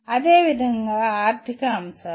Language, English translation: Telugu, Similarly, economic factors